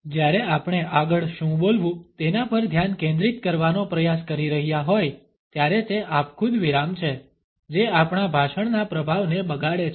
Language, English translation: Gujarati, When we are trying to focus on what next to speak are the arbitrary pauses which is spoil the impact of our speech